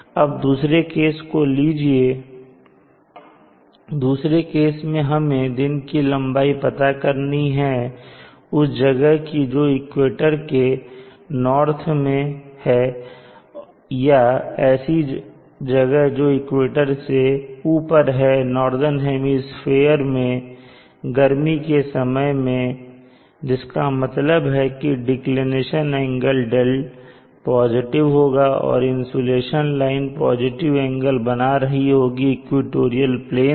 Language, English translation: Hindi, So consider case B, now in case B we need to find the length of a day of a place which is to the north of the equator, any place above the equator and in summer in the northern hemisphere which means the declination angle d is positive and the sun the insulation line is having an angle which is positive with respect to the equatorial plane